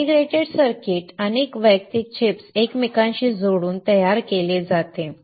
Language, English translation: Marathi, So, the integrated circuit is fabricated by interconnecting a number of individual chips